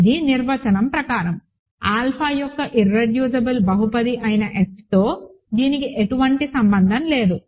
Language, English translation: Telugu, This is by definition; this has nothing to do with F, the irreducible polynomial of alpha